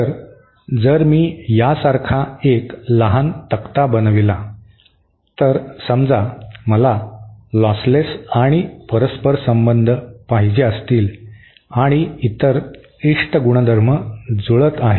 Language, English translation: Marathi, So, if I make a small table like this, suppose I want lossless and reciprocal and the other property that is desirable is matched